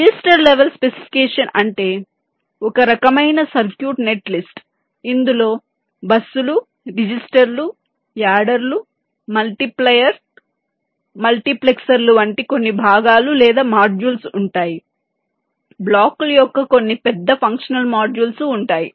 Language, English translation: Telugu, register level specification means ah kind of circuit net list which consist of components or modules like, say, busses, registers, adders, multipliers, multiplexors, some bigger functional modules of blocks